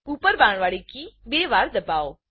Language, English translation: Gujarati, Press the uparrow key twice